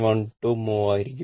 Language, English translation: Malayalam, 12 mho right